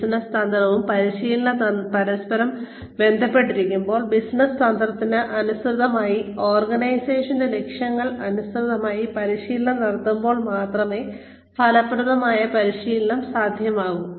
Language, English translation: Malayalam, Effective training can happen, only when the business strategy and training are intertwined, when training is carried out, in line with the business strategy, in line with the goals of the organization